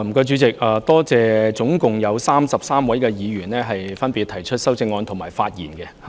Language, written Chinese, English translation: Cantonese, 主席，我感謝合共33位議員就我的議案提出修正案和發言。, President I am grateful that totally 33 Members have spoken on my motion and amendments have been proposed to it